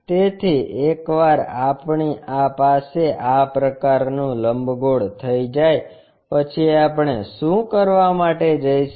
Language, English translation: Gujarati, So, once we have this kind of ellipse, what we are going to do